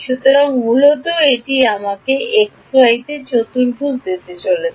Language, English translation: Bengali, So, basically this is going to give me a quadratic in x y